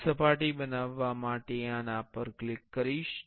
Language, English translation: Gujarati, I will click on this to create a surface